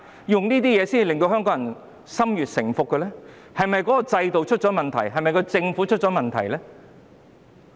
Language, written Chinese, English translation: Cantonese, 用這些方法迫使香港人順服，究竟是制度出了問題，還是政府出了問題？, Hong Kong people are forced to comply; is there something wrong with the system or with the Government?